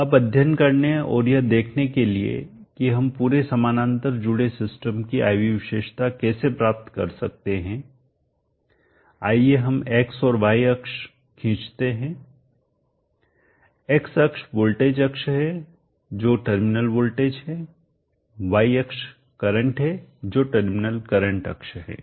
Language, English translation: Hindi, (Now in order to study and see how we can get the Iv characteristic of the entire parallel connected system let us draw the x and y axis, x axis is the voltage axis the terminal voltage I axis is the current which is terminal current axis